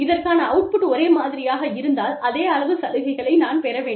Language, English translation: Tamil, If the output is the same, then, i should get the same amount of benefits